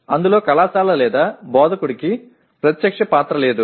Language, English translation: Telugu, The college or instructor has no direct role in that